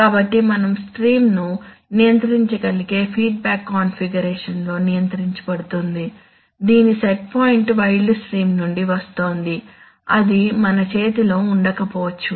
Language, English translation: Telugu, So that we can control the, so the control stream is being controlled in a feedback configuration whose set point is coming from the wild stream which can be, which may or may not be in our hand